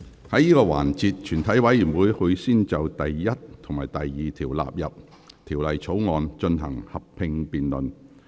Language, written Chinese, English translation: Cantonese, 在這個環節，全體委員會會先就第1及2條納入《條例草案》，進行合併辯論。, In this session the committee will first proceed to a joint debate on clauses 1 and 2 standing part of the Bill